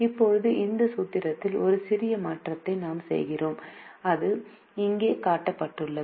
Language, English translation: Tamil, now we make a minor change in this formulation and that is shown here